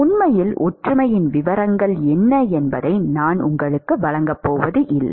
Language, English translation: Tamil, In fact, I am not going to give you what are the details of the similarity